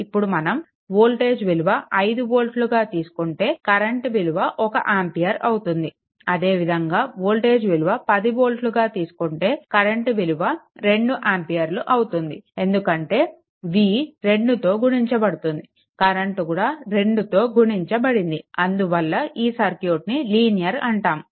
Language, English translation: Telugu, Now, question is that suppose if my v is equal to 5 volt, at that time say i is equal to 1 ampere right if I make it v is equal to 10 volt, then i has to be 2 ampere because v has been multiplied by 2 so, i has to be multiplied by 2, if it is if it is happened then a circuit is a linear right